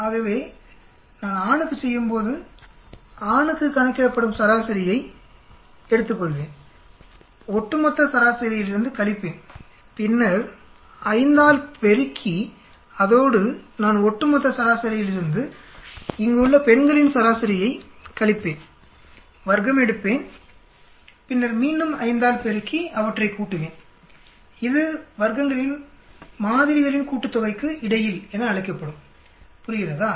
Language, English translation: Tamil, So when I do for male, I will take the average which are calculated for male, subtract from the overall mean then multiply by five plus I will subtract the average of the females here, from the overall mean square it, then again multiply by the 5, add those, that will call the between samples sum of squares, understand